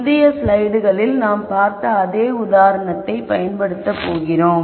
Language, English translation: Tamil, We are going to use the same example that we had looked at in the previous slides